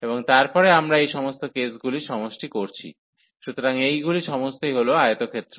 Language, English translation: Bengali, So, and then we are summing all these cases, so all these rectangles